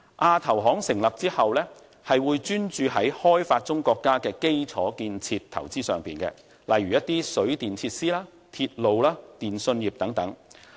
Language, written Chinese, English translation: Cantonese, 亞投行成立後，會專注於發展中國家的基礎建設投資這一方面，例如水電設施、鐵路、電訊業等。, Once AIIB is founded it will focus on the infrastructure investment of developing countries such as power and water supply facilities railways telecommunications and so on